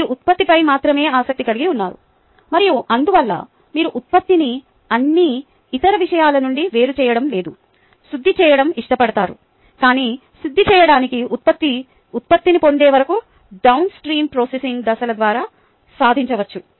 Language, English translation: Telugu, right, you are interested only in the product and therefore you like to separate out or purify the product from all other things, and that is what is achieved by the downstream processing steps till a purified product is obtained